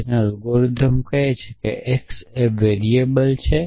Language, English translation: Gujarati, So, our algorithm will say x is a variable